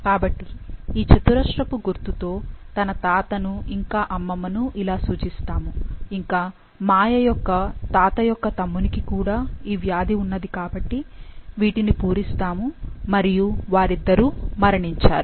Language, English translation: Telugu, So, this symbol that is square denotes his grandfather, grandmother and now her grandfather’s younger brother also had the disease, so we will fill the circle and both are dead